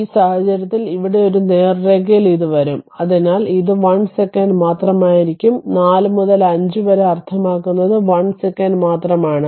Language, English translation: Malayalam, In this case here for this straight line here it will come, so it is it will 1 second only, 4 to 5 means only 1 second